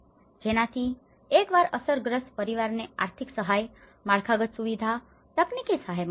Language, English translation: Gujarati, So, once the affected families could receive the financial aid, infrastructure, technical support